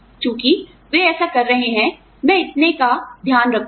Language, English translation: Hindi, Since, they are doing this, I will take care of this much